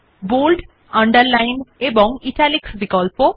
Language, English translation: Bengali, Bold, Underline and Italics options